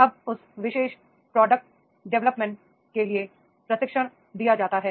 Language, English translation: Hindi, Now the training is given for that particular product development is there